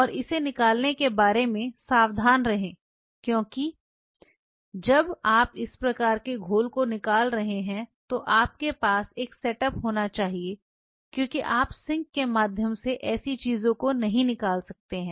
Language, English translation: Hindi, And be careful about draining it because when you are draining these kinds of solutions you should have a setup because you cannot drain such things through the sink